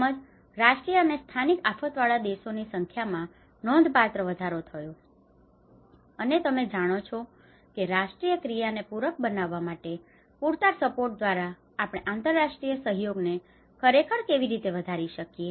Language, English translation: Gujarati, And as well as substantially increase the number of countries with national and local disaster and you know how we can actually enhance the international cooperation through adequate sustainable support to complement the national action